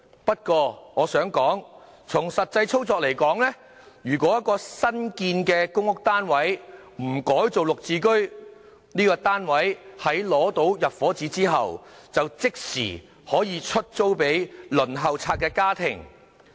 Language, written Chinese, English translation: Cantonese, 不過，從實際操作而言，如果一個新建的公屋單位不改作"綠置居"，該單位在取得入伙紙後，即時可出租給輪候冊上的家庭。, However at the actual operation level a newly built PRH unit can be rented out to a household on the Waiting List immediately after the occupation permit is issued while under GSH a unit can be rented out only after the original tenant has surrendered the unit